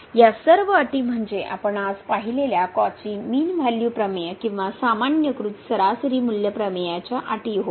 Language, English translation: Marathi, So, all these conditions are the conditions of the Cauchy mean value theorem or the generalized mean value theorem we have just seen today